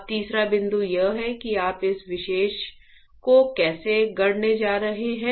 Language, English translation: Hindi, Now, the third point is how you are going to fabricate this particular